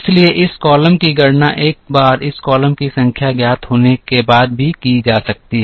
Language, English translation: Hindi, So, this column can also be calculated once the numbers in this column are known